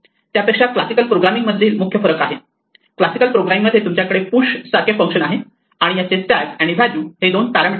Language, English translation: Marathi, Rather than the kind of the main difference from classical programming is, in classical programming you would have for instance a function like say push define and it will have two parameters typically a stack and a value